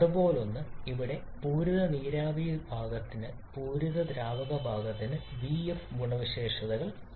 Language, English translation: Malayalam, Something like this where we are having properties vf for the saturated liquid part vg for that saturated vapor part